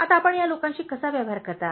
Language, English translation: Marathi, Now how do you deal with these people